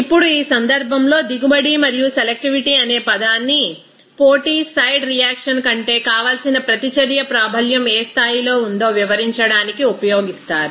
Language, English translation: Telugu, Now, in this case, the term yield and selectivity are used to describe the degree to which is a desired reaction predominance over competing side reaction